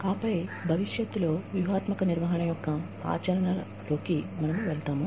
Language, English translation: Telugu, And then, we will move on to, the implications for strategic management, in the future